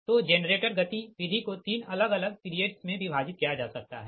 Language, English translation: Hindi, so generator behavior can be divided in to three different periods